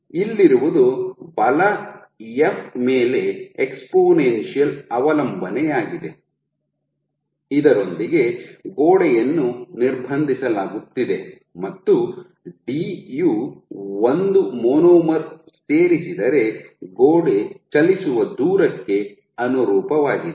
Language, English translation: Kannada, So, what we have here is an exponential dependence on force f, which is with which the wall is being restrained and d, d corresponds to the distance the wall moves if a monomer gets added